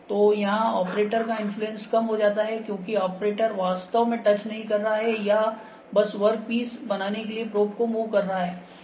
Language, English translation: Hindi, So, reduced operator influence is there, because operator is not actually touching or just making the work piece or probe to move